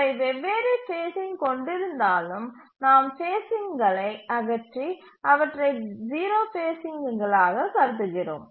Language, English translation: Tamil, Even if they have different phasing we just remove the phasing and consider there is to be zero phasing